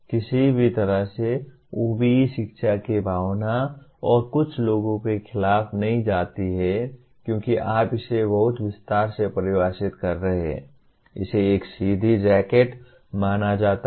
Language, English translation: Hindi, In no way OBE kind of goes against the spirit of education and some people because you are defining so much in detail it is considered as a straight jacket